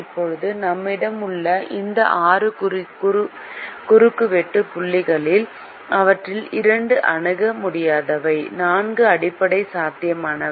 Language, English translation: Tamil, now, out of these six intersection points that we have, two of them are infeasible and four are basic feasible